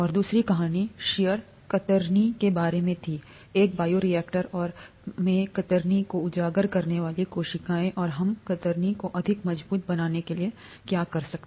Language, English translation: Hindi, And the second story was about shear, shear, in a bioreactor and the cells being exposed to shear, and what could we do to make the cells more robust to shear,